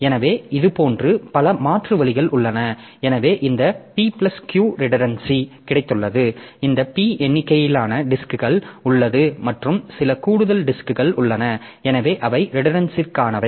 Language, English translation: Tamil, So, in this way there are a number of such alternative like we have got this p plus q redundancy so this p number of disc are there plus there are some additional disks so which are for the redundancy